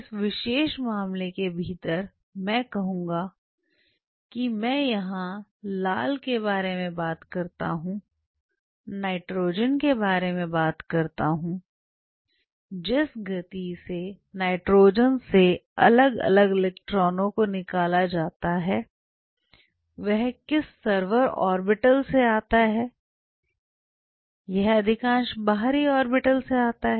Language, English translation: Hindi, So, powerful within this particular say I talk about the red here, talk about nitrogen the speed with which the different electrons from nitrogen are ejected from which server orbital it is coming from most of the outer orbitals